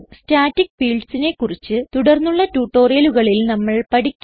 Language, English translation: Malayalam, We will learn about static fields in the coming tutorials